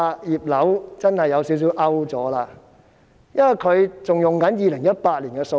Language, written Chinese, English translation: Cantonese, "葉劉"真是有點落伍，因為她仍然引用2018年的數字。, Regina IP is indeed a bit outdated because she still cited the figures of 2018